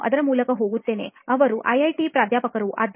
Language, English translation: Kannada, I go through that, they are IIT professors that teach on that